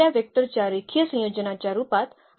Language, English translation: Marathi, So, that is a linear combination of these given vectors